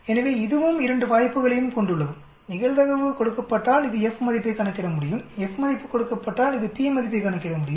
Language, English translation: Tamil, So again this also has both the options given probability, it can calculate F value, given F value it can calculate p value